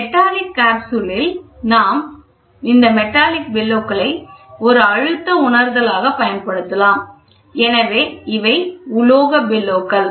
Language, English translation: Tamil, In metallic capsule we do this metallic bellows can be employed as a pressure sensing so, these are metallic bellows